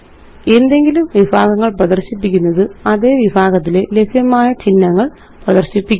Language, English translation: Malayalam, Choosing any category displays the available symbols in that category